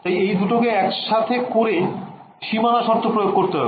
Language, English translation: Bengali, Now I am going to put these two together and impose this boundary condition ok